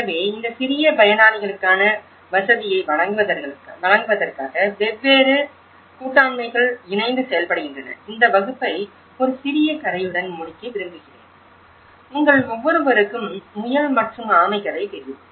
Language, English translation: Tamil, So, this is where different partnerships work and work actually together to provide facility for these small actors like I would like to conclude this lecture with a small story, I think every one of you know, the hare and tortoise story